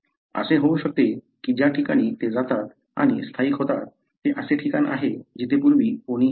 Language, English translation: Marathi, It may so happen that the place they go and settle is a place where nobody lived before